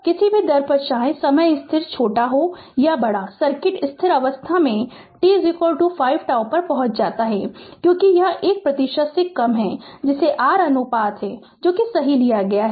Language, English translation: Hindi, At any rate whether the time constant is small or large, the circuit reaches steady state at t is equal to 5 tau because it is it is less than one percent that your what you call the ratio whatever you have taken right